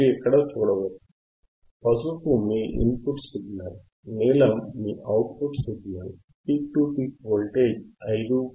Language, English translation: Telugu, yYou can see here, yellow is your input signal, blue is your output signal, peak to peak voltage is 5